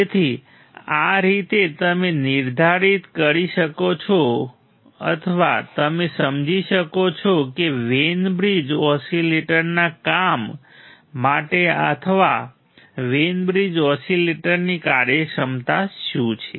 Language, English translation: Gujarati, So, this is how you can determine or you can understand the functionality are there for or the working of the Wein bridge oscillator working of Wein bridge oscillator